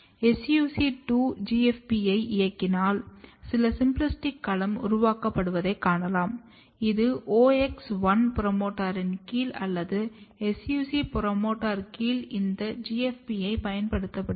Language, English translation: Tamil, And if you just drive SUC2:GFP, you can see that there are some symplastic domain, which is being made either you use this GFP under OX1 promoter or SUC2 promoter